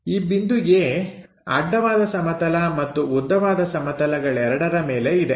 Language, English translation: Kannada, And, the point A is on horizontal plane in front of vertical plane